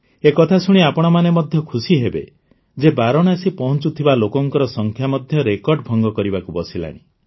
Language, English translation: Odia, You would also be happy to know that the number of people reaching Banaras is also breaking records